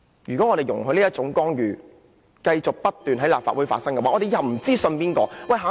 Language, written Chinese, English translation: Cantonese, 如果我們容許這種干預繼續不斷在立法會出現，我們日後便不知道該相信誰。, If we allow such interference to continue in the Legislative Council we can no longer tell who to trust in the future